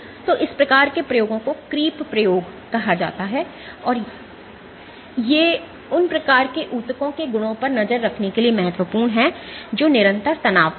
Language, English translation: Hindi, So, these kinds of experiments are called creep experiments, and these are important for tracking properties of those kind of tissues which are under constant stress